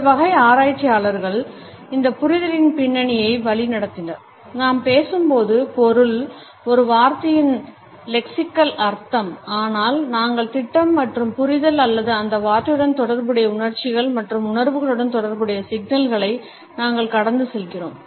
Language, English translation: Tamil, So, these type of researchers led the background to this understanding that when we speak we do not only voice the content projected by the meaning, the lexical meaning of a word but we also project and understanding or we pass on signals related with the emotions and feelings associated with that word or with that situation